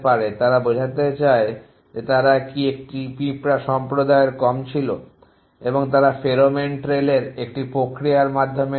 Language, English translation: Bengali, They want to convey were they having being to the less of the ant community and they do this by a process of pheromone trails